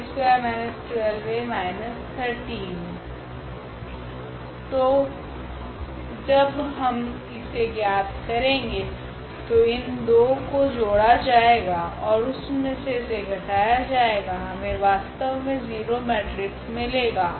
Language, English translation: Hindi, So, when we when we determine this one so, here this minus so, these two will be added and that this will be subtracted; we are getting actually 0 matrix